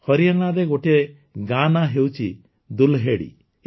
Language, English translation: Odia, There is a village in Haryana Dulhedi